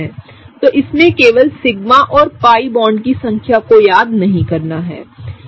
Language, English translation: Hindi, So, just don’t be tricked by just remembering the number of the sigma and pi bonds